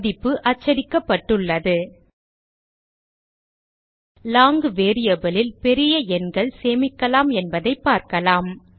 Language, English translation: Tamil, The value has been printed We can see that large numbers can be stored in a long variable